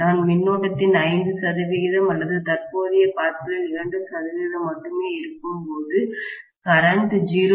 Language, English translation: Tamil, When I am having only you know 5 percent of the current or 2 percent of the current flowing, the current is going to be only 0